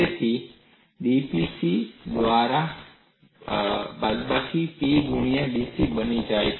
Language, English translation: Gujarati, So, dP becomes minus P times dC by C